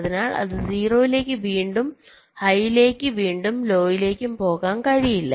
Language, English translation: Malayalam, so it cannot go to zero again to high, again to low